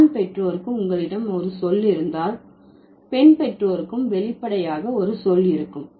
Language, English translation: Tamil, If you have a word for the male parent, then obviously we'll have a word for the female parent